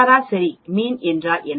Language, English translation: Tamil, What is a mean